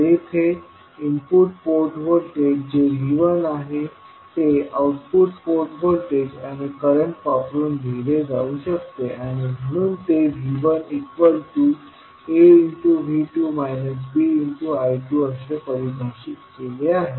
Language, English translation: Marathi, So here the input port voltage that is V 1 can be written in terms of output port voltage and current and it is defined as V 1 is equal to A V 2 minus B I 2